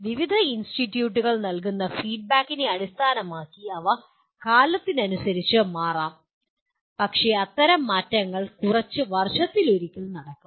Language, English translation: Malayalam, They may change with time based on the feedback given by various institutes but that kind of modifications will take place once in a few years